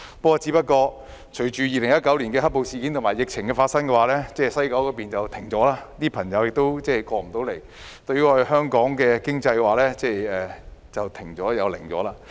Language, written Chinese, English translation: Cantonese, 不過，由於發生2019年"黑暴"事件及爆發疫情，西九龍站運作停頓，內地旅客來不了香港，香港經濟亦漸停頓。, However the operation of the West Kowloon Station has been brought to a halt due to the two incidents . While Mainland tourists are unable to travel to Hong Kong Hong Kongs economy is also slowing down to a near standstill as well